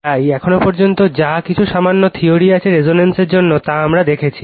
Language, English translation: Bengali, So, far what whatever little bit theories are there for resonance we have seen it